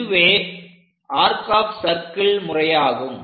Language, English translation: Tamil, This is by arcs of circle method